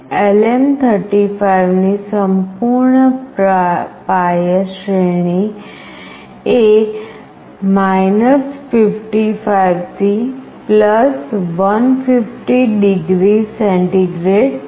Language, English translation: Gujarati, The full scale range of LM35 is 55 to +150 degree centigrade